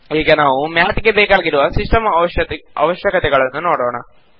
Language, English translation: Kannada, Let us look at the System requirements for using Math